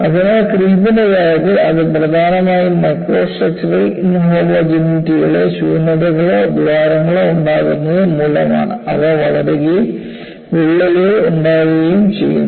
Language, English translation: Malayalam, So, in the case of a creep, it is essentially nucleation of voids or holes at microstructural inhomogenities, which grow and coalesce to form cracks